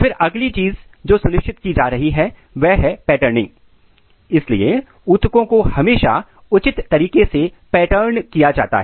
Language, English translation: Hindi, Then the next thing what is being ensured is the patterning, so the tissues are always patterned in a proper manner, there is a fixed pattern of the tissues